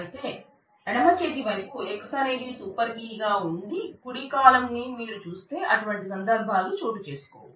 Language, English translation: Telugu, Whereas if you look at the right column where the left hand side X is a super key then such instances will not happen